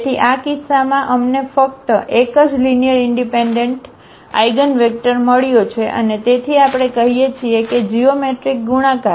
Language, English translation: Gujarati, So, in this case we got only one linearly independent eigenvector and therefore, we say that the geometric multiplicity